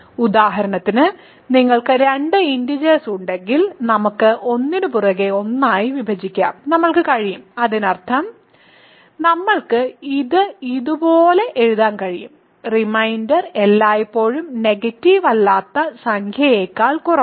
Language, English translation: Malayalam, For example, if you have two integers we can divide one by the other and we can; that means, we can write it like this there the reminder is always strictly less than it is a non negative number